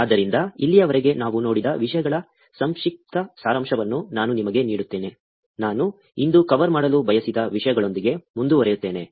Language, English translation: Kannada, So, let me just give you a quick summary of what we have seen until now and then, I will go ahead with the topics that I wanted to cover today